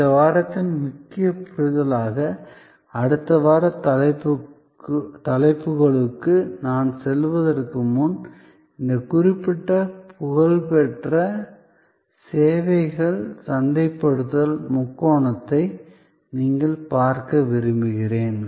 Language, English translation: Tamil, Before I move to our next week’s topics as a key understanding of this week I would like you to look at this particular famous services marketing triangle